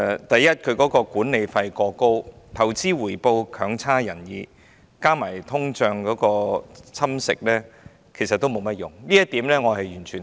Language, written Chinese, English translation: Cantonese, 第一，其管理費過高，投資回報強差人意，加上通脹蠶食，其實並無甚麼作用，這一點我完全贊同。, First its management fees are too high its returns on investments too low and its benefits eroded by inflation to the extent that it does not work . This I fully concur